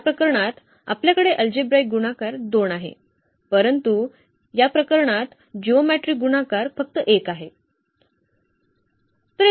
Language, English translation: Marathi, In this case we have the algebraic multiplicity 2, but geometric multiplicity is just 1 in this case